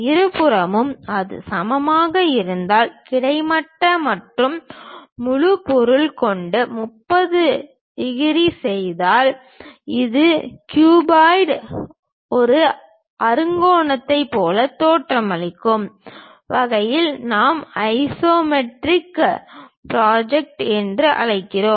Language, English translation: Tamil, On both sides if it is equal and making 30 degrees with the horizontal and the entire object we orient in such a way that a cuboid looks like a hexagon such kind of projection what we call isometric projection